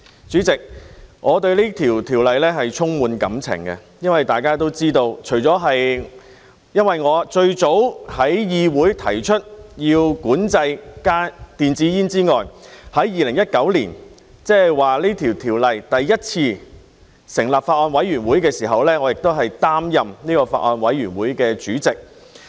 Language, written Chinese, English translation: Cantonese, 主席，我對《條例草案》充滿感情，大家都知道，除了因為我是最早在議會提出要管制電子煙的人之外，在2019年，即《條例草案》第一次成立法案委員會的時候，我亦擔任這個法案委員會的主席。, President I have strong feelings for the Bill . As Members know apart from being the first person who proposed the control of electronic cigarettes in the Legislative Council I also served as Chairman of the Bills Committee when it was first set up in 2019